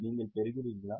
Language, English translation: Tamil, Are you getting